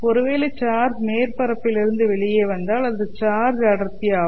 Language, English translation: Tamil, So if the charges come out of the surface, they would be constituting the current density J